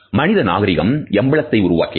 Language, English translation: Tamil, Human civilization has invented emblems